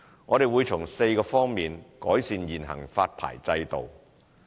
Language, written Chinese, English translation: Cantonese, 我們會從4方面改善現行發牌制度。, We will improve the existing licensing regime in four aspects